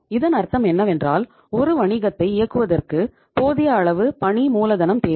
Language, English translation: Tamil, It means if you want to keep the wheels of business ready going on you need to have sufficient working capital